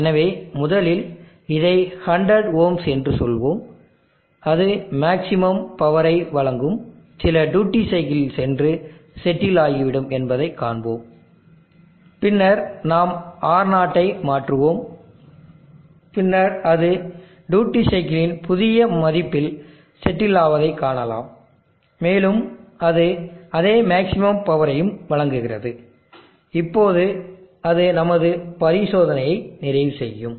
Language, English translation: Tamil, So first we will say this an 100 ohms, and see that it will go and settle at some duty cycle providing maximum power, and then we will change R0 and then see that will settle at the new value of duty cycle also providing the same maximum power, now that would complete our experiment